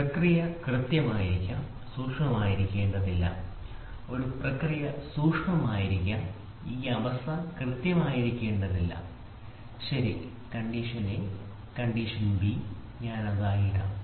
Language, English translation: Malayalam, A process can be precise, but need not be accurate this condition a process can be accurate need not be precise this condition, ok, condition a, condition I will put it as b